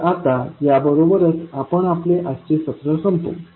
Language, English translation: Marathi, So now, with this we can close our today’s session